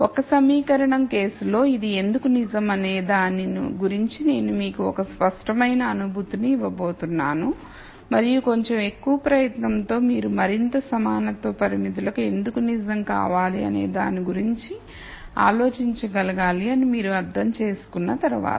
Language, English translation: Telugu, I am going to give you an intuitive feel for why this is true in the single equation case and once you understand that with a little bit more effort you should be able to think about why it should be true for more equality constraints and so on